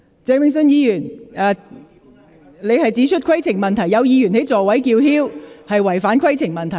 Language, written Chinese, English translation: Cantonese, 鄭泳舜議員，你提出規程問題，指有議員在座位上叫喊是違反《議事規則》。, Mr Vincent CHENG you have raised a point of order submitting that some Member is shouting in whose seat in contravention of RoP